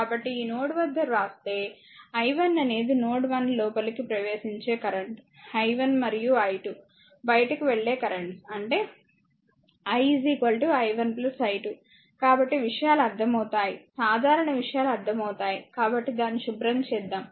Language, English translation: Telugu, So, at this node if you write so, this incoming current at node 1 i and 2 outgoing current i 1 plus i 2; that means, your i is equal to your i 1 plus i 2, right